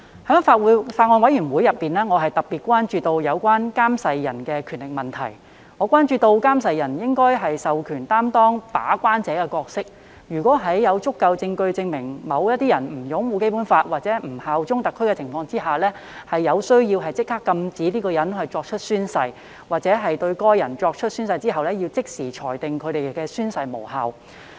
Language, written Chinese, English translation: Cantonese, 我在法案委員會中特別關注有關監誓人的權力問題，認為監誓人應獲授權擔當把關者的角色，在有足夠證據證明某人不擁護《基本法》和不效忠特區的情況下，有需要立即禁止該人作出宣誓，或在該人作出宣誓後即時裁定其宣誓無效。, I have expressed particular concern about the powers of oath administrators at the Bills Committee holding that oath administrators should be empowered to act as gatekeepers who can where there is sufficient evidence that the person does not uphold the Basic Law and bear allegiance to HKSAR bar a person from taking an oath immediately if necessary or determine hisher oath as invalid immediately after the oath is taken